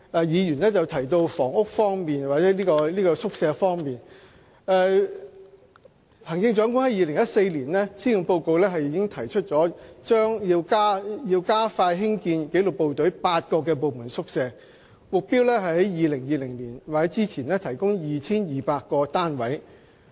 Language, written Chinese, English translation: Cantonese, 議員剛才提到宿舍方面，行政長官在2014年施政報告中提出，加快興建紀律部隊的8個部門宿舍項目，目標是在2020年或之前提供超過 2,200 個單位。, In respect of quarters mentioned by the Member the Chief Executive announced in the 2014 Policy Address that the Government would expedite eight departmental quarters projects for disciplined services departments aiming at providing more than 2 200 units by 2020